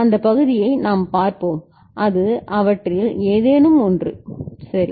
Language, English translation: Tamil, That part we shall see it can be any one of them ok